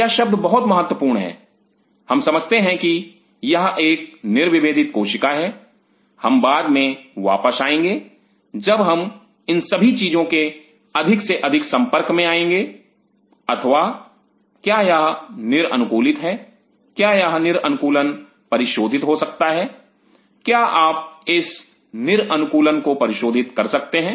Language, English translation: Hindi, These words are very important that we understand that is it a de differentiated cell we will come later when all these things we will be dealing more and more or is it de adapted could this de adaptation be rectified could you rectify the de adaptation